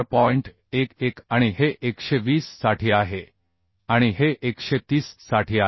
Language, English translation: Marathi, 11 this is for 120 and this is for 130 So for 124